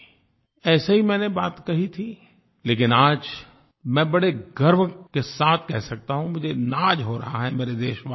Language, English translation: Hindi, I had said it just like that, but today I can say with confidence that I am indeed very proud of you all